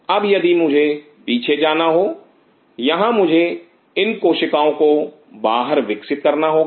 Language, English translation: Hindi, Now if I have to coming back here if I have to grow these cells outside